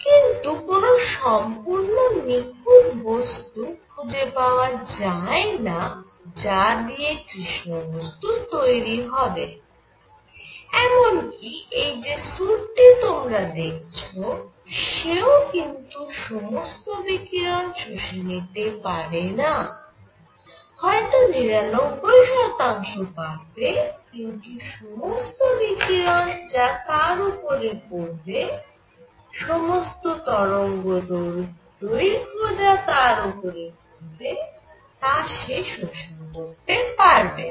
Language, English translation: Bengali, There is no perfect material that forms a black body even the suit that you see does not absorb all the radiation may be 99 percent, but it does not absorb all the radiation falling on it or for all the wavelength